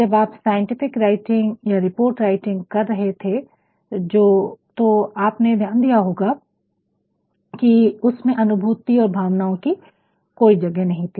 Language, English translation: Hindi, When you were writing a scientific writing or a report writing you might have seen that there was no room available for feelings and emotions